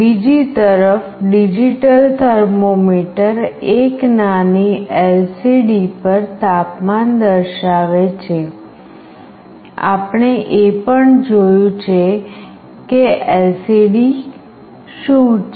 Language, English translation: Gujarati, On the other hand, a digital thermometer displays the temperature on a tiny LCD; we have also seen what an LCD is